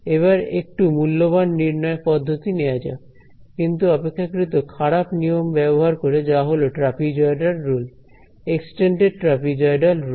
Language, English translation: Bengali, Let us try a little bit more expensive evaluation, but using a inferior rule which is the trapezoidal rule, the extended trapezoidal rule